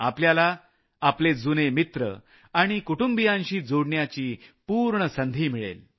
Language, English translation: Marathi, You will also get an opportunity to connect with your old friends and with your family